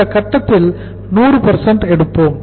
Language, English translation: Tamil, At this stage we will take the 100%